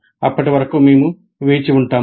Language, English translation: Telugu, Until then we will wait